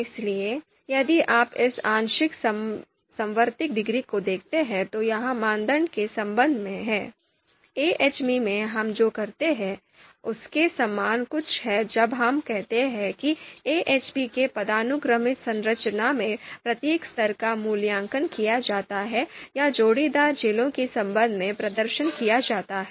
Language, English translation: Hindi, So if we if you look at this partial concordance degree, this is with respect to a criterion, something similar to you know what we do in AHP when we say that each level in the hierarchical structure of AHP is actually you know evaluated, the pairwise pairwise comparisons are performed with respect to the immediate upper level right